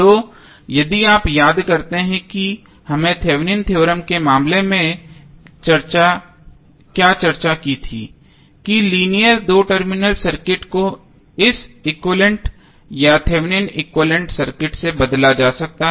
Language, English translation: Hindi, So, if you recollect what we discussed in case of Thevenin's theorem that the linear two terminal circuit can be replaced with it is equivalent or Thevenin equivalent circuit